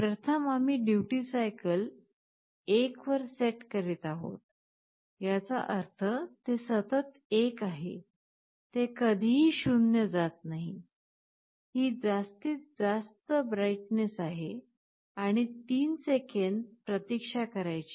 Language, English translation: Marathi, First we are setting duty cycle to 1, which means it is continuously 1, it is never going 0, this is the maximum brightness, and you wait for 3 seconds